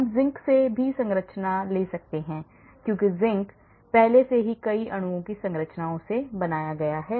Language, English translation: Hindi, we can even take structure from Zinc because Zinc already has built in structures of many of many molecules